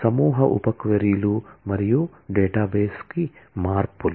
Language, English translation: Telugu, The nested sub queries and modifications to the database